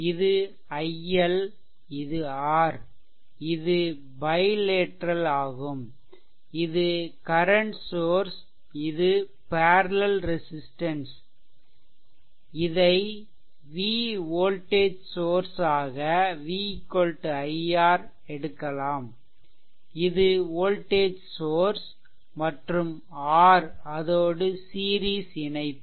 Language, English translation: Tamil, And from the same thing, the if it is your i L it is R, the represent this one that from your bilateral from this current source and this parallel resistance, you can make it v is equal to i R, this is the voltage source and with v this R is in series right